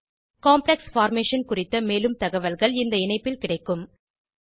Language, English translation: Tamil, More details about complex formation are available at this link http://en.wikipedia.org/wiki/Spin states d electrons